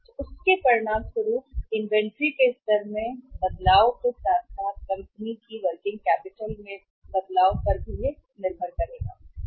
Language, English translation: Hindi, So that is going to be as a result of that, that will depend upon the change in the inventory level plus the change in the net working capital of the company